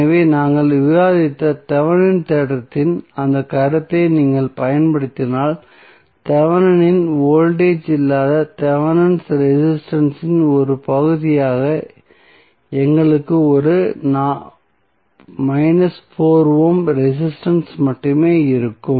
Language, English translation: Tamil, So, if you use that concept of Thevenin theorem which we discussed we will have only 1 minus 4 ohm resistance as part of the Thevenin resistance with no Thevenin voltage